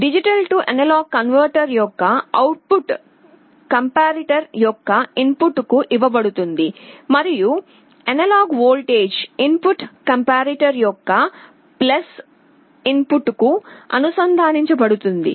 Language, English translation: Telugu, The D/A converter output is fed to the input of the comparator, and the analog voltage input is connected to the + input of the comparator